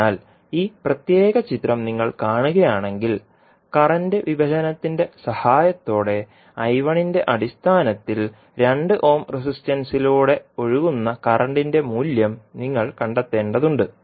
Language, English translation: Malayalam, So, if you see this particular figure you need to find out the value of current flowing through 2 ohm resistance in terms of I 1, with the help of current division